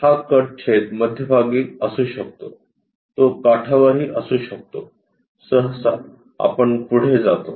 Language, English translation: Marathi, This cut section can be at middle, it can be at the edges also, usually we go ahead with